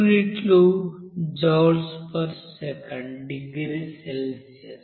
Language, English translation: Telugu, That units are joule per second degree Celsius